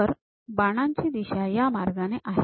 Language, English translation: Marathi, And note the arrow direction